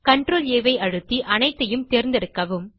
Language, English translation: Tamil, Select all of them by pressing CTRL+A